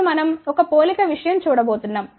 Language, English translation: Telugu, Now, we are going to look at a one comparison thing